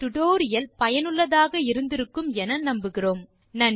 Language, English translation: Tamil, So we hope you have enjoyed this tutorial and found it useful